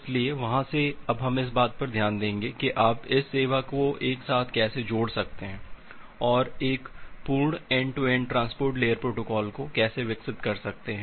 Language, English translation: Hindi, So, going from there, now we will look into that how you can combine all this service together and develop an complete end to end transport layer protocol